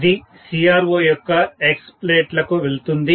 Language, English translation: Telugu, This will go to the X plates of the CRO